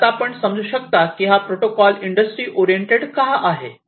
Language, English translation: Marathi, So, as you can now understand, why it is industry oriented